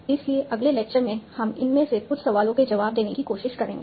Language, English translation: Hindi, So, in the next lecture, we will start trying to answer some of these questions